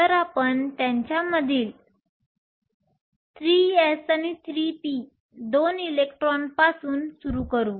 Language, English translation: Marathi, So, we start with the 3 s and the 3 p two electrons in them